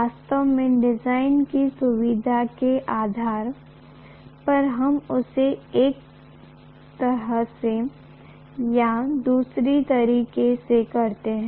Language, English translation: Hindi, Invariably, depending upon the convenience of the design, we do it one way or the other